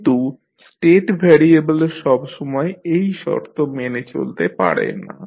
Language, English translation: Bengali, But, a state variable does not always satisfy this requirement